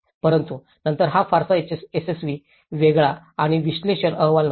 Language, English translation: Marathi, But then this was not very successful, different and analysis report